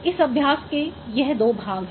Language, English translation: Hindi, So these are the two parts of this exercise